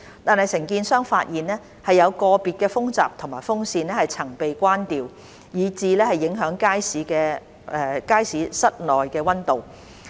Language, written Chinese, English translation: Cantonese, 但是，承建商發現，有個別風閘及風扇曾被關掉，以致影響街市室內溫度。, Nevertheless the contractor found that some air curtains and fans had been switched off thus affecting the indoor temperature of the Market